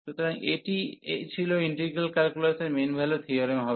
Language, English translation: Bengali, So, having this now we get another mean value theorem for integral calculus